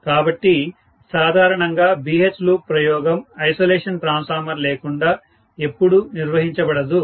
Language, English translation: Telugu, So, normally BH loop experiment will never be conducted without an isolation transformer